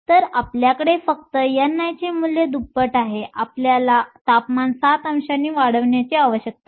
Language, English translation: Marathi, So, you have only doubling the value of n i you need to increase your temperature by 7 degrees